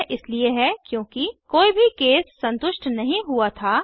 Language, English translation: Hindi, This is because none of the cases were satisfied